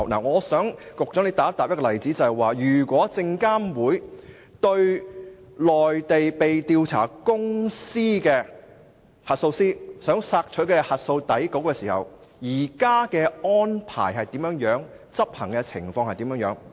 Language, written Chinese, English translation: Cantonese, 我想以一個例子，希望局長回答，對於內地被調查公司的核數師如想索取核數底稿，證監會現時的安排及執行情況為何？, I hope the Secretary would give me a reply for the example cited as follows With regard to the requests put forward by auditors of companies under investigation on the Mainland for the provision of audit working papers what arrangements have been put in place by SFC and how such arrangements are implemented?